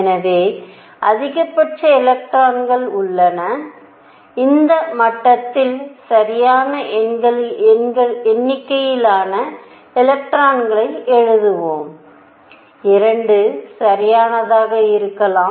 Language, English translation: Tamil, So, maximum number of electrons let us write on the right number of electrons in this level could be 2 right